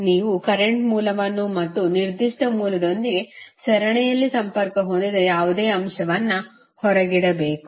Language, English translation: Kannada, You have to exclude the current source and any element connected in series with that particular source